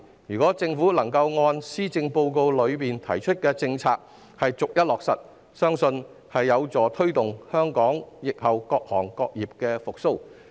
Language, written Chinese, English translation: Cantonese, 如果政府能把施政報告提出的政策逐一落實，相信有助推動香港疫後各行各業的復蘇。, I believe if the Government can implement one by one the policies proposed in the Policy Address it will help bring about the recovery of various sectors and industries in Hong Kong after the epidemic